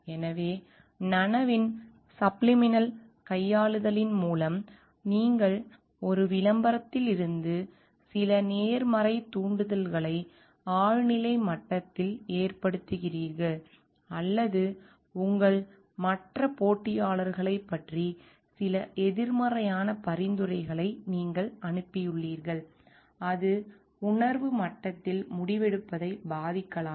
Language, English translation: Tamil, So, through subliminal manipulation of the conscious this is where you since an advertisement certain positive triggers at the at the subliminal level, or you sent some negative suggestions about your other competitors at the subliminal level, and that may affect the decision making at the conscious level, which may go for against the product